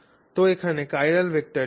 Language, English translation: Bengali, So, what is the chiral vector here